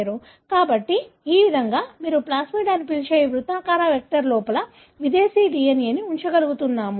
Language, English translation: Telugu, So, this way, we are able to put the foreign DNA inside this circular vector, which you call as plasmid